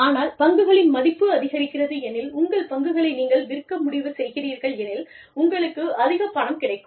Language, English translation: Tamil, But, if the value of the stocks goes up, and you decide to sell your stocks, you end up making, a lot of money